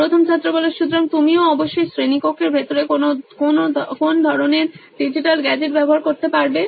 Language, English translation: Bengali, So you also must be having access to some sort of digital gadget inside classroom